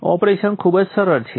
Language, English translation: Gujarati, The operation is pretty simple